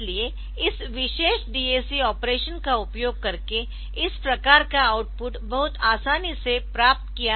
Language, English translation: Hindi, So, this type of output so very easily you can be obtained using this particular DAC operation ok